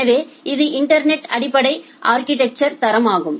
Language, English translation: Tamil, So, this is the basic quality of service architecture in the internet